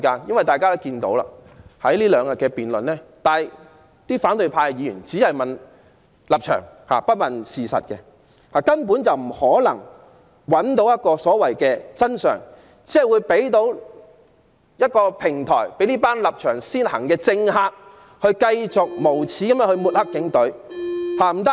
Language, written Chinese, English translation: Cantonese, 在過去兩天的辯論中，反對派議員只問立場，不問事實，根本不可能找到所謂的真相，只是提供一個平台讓這班立場先行的政客繼續無耻地抹黑警隊。, During the debate in the past two days opposition Members were only concerned about political stance but not the facts . It was thus impossible for them to identify what they claimed to be the truth . The debate has simply provided a platform for those Members who have been led by political stance to shamelessly smear the Police Force